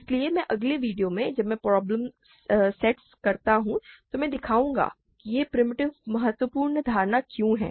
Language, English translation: Hindi, So, I will in the next videos when I do problem sets, I will show why this primitive is important assumption